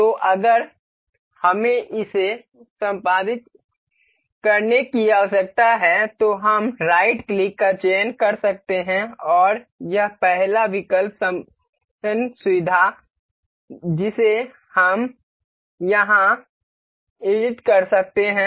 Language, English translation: Hindi, So, in case we need to edit it we can select right click and this first option edit feature we can edit here